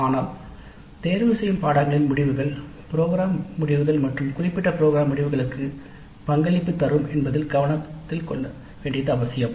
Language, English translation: Tamil, But it is very important to note that the outcomes of elective courses do contribute towards program outcomes as well as program specific outcomes